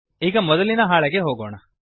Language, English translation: Kannada, Lets go back to the first sheet